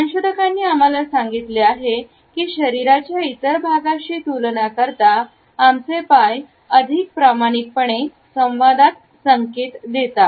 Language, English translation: Marathi, Researchers have told us that our legs and feet are more honest in communication in comparison to other body parts of us